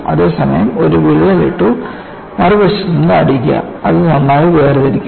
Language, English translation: Malayalam, Whereas, you put a crack and then hit it from other side; it will separate very well